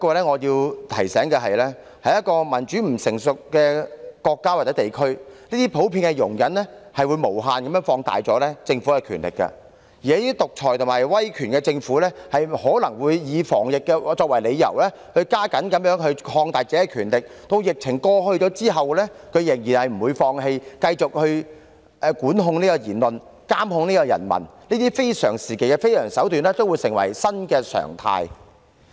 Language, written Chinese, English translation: Cantonese, 可是，我想提醒大家，在一個民主制度不成熟的國家或地區，這種普遍的容忍會無限放大政府的權力，而這些獨裁及威權政府可能會以防疫作為理由，加緊擴大自己的權力，待疫情過去後仍不放棄，繼續管控言論、監控人民，讓這些非常時期的非常手段成為新常態。, However I would like to remind everyone that in a country or region where the democratic system is still immature such a general tolerance of the relevant situation will indefinitely expand the power of its government and a dictatorship and authoritarian government may use epidemic prevention as an excuse to expand its power . It will not stop doing so even after the epidemic has eased and will continue to control speech monitor its people and make extraordinary measures taken at extraordinary times become new norms